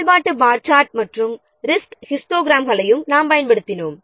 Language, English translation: Tamil, We have also used the activity bar chart as well as resource histograms